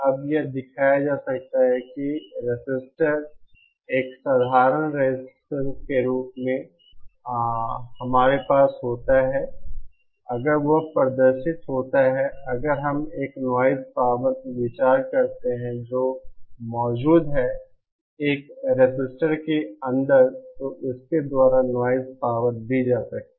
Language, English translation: Hindi, Now, it can be shown that for a resistor, a simple resistor that we have if it exhibits, if we consider a noise power that is present inside a resistor then the noise power can be given by this